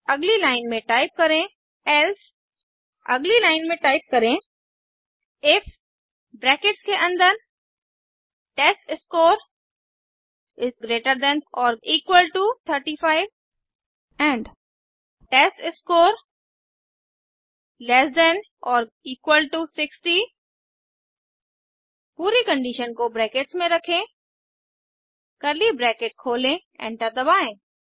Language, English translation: Hindi, Next line type else next line type if within brackets testScore greater than or equal to 35 and testScore less than or equal to 60.Put the whole condition within brackets open curly brackets press enter